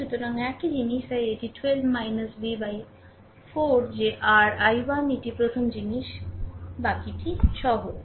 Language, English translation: Bengali, So, same thing so, it is 12 minus v by 4 that is your i 1 this is the first thing rest are simple right